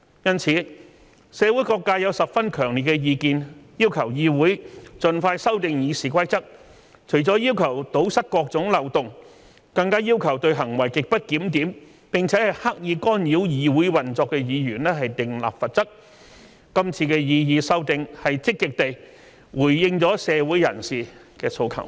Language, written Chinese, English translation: Cantonese, 因此，社會各界有十分強烈的意見，要求議會盡快修訂《議事規則》，除了要求堵塞各種漏洞，更要求對行為極不檢點並刻意干擾議會運作的議員訂立罰則，這次的擬議修訂積極地回應了社會人士的訴求。, Therefore there have been very strong views from various sectors of society asking this Council to amend RoP as soon as possible . Apart from plugging the various kinds of loopholes they even ask to impose penalties on those Members for their grossly disorderly conduct and deliberate acts to interfere with the operation of this Council . This proposed amendment has proactively responded to the aspirations of the people in society